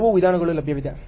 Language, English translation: Kannada, There are so many approaches available